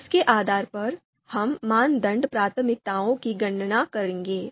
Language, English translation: Hindi, So based on that, we will be you know computing criteria priorities